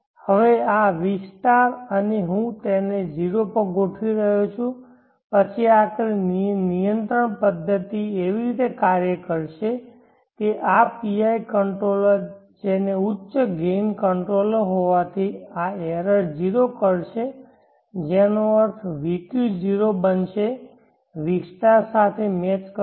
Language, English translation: Gujarati, Now this vq* here I am setting it to 0 then eventually this control mechanism will operate in such a way that this PI controller being high gain controller will make this error 0 which means vq will become 0 match with the vq* and therefore we can say that the